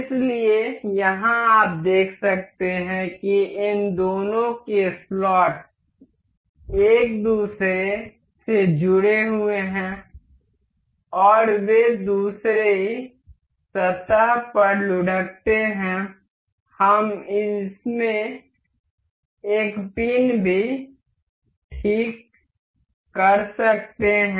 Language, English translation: Hindi, So, here you can see the slots of both of these are aligned to each other and they roll over other surface, we can also fix a pin into this